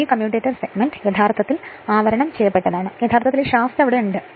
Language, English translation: Malayalam, This commutator segment actually they are insulated from themselves right and their they actually that shaft is there